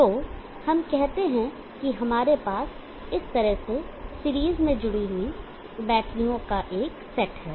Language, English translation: Hindi, So let us say that we have set of batteries connected in series like this